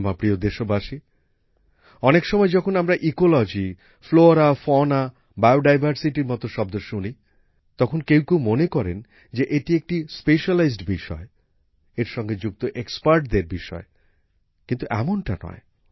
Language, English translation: Bengali, Many a time, when we hear words like Ecology, Flora, Fauna, Bio Diversity, some people think that these are specialized subjects; subjects related to experts